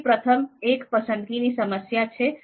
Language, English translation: Gujarati, So first one is choice problem